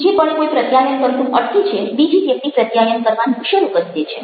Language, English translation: Gujarati, the moment come somebody stops communicating, the other person start communicating, the second